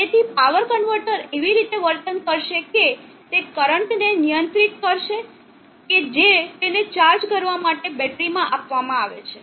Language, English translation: Gujarati, So the power converter will behave in such a manner that it will control the current that that is being fed into the battery to charge it up